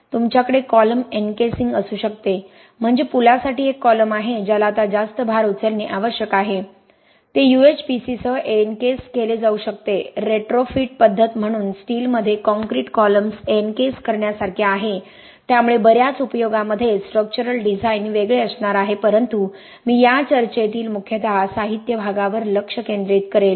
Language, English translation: Marathi, You can have column encasings you can have a column for a bridge that is now required to take a higher load you can encase that column with UHPC very similar to encasing concrete columns in steel right so as a retrofit methodology so a lot of applications structural design is going to be different but I will concentrate mostly on the materials part in this talk